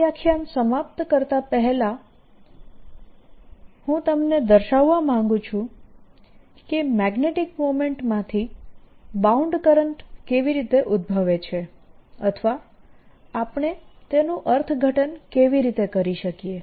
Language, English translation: Gujarati, before we end this lecture, i want to give you a feeling for how the bound currents arise out of magnetic moments, or how we can interpret them